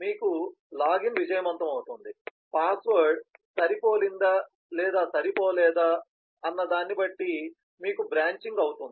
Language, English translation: Telugu, you will have either the login is successful, the password has matched or it did not match, so you have a branching